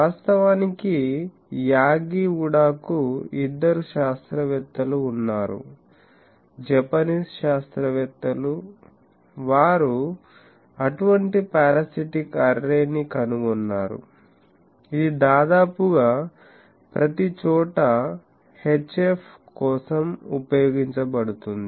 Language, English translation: Telugu, Actually, Yagi Uda there are two scientists, Japanese scientists, they found out one such parasitic array, which is almost, everywhere used for HF